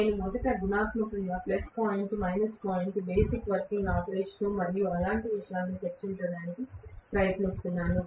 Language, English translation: Telugu, I am trying to first of all discuss qualitatively the plus point, minus point, the basic working operation and things like that